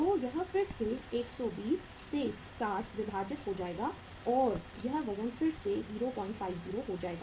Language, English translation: Hindi, So this will be again 60 divided by 120 and thus this weight will be again 0